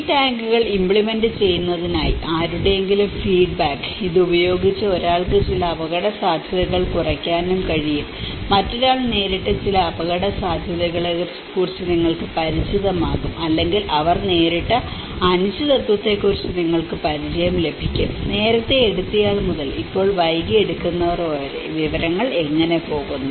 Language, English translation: Malayalam, In order to implement these tanks, one is sharing information on innovation whether someone's feedback, someone who have used it that can also reduce some risks, you will become familiar with certain risks which someone else have faced it or they have encountered also you will get some familiarity about the uncertainties, from an early adopter to the late adopters now, how information flows